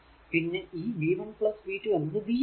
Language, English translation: Malayalam, So, minus v plus v 1 plus v 2 is equal to 0